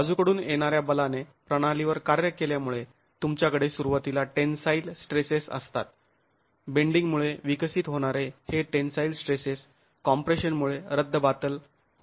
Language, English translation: Marathi, As the lateral forces act on the system, you have tensile stresses, initially the tensile stresses that develop because of bending are nullified by the compression